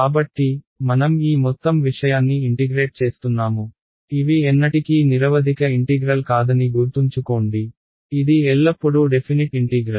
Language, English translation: Telugu, So, I am going to integrate this whole thing ok, remember these are never indefinite integrals; these are always definite integrals ok